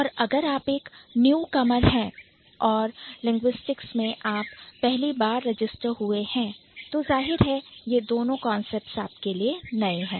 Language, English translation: Hindi, And if you are a newcomer and this is the first course that is that you are registered in the discipline called linguistics then obviously these two are the new things